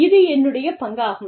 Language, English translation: Tamil, This is my share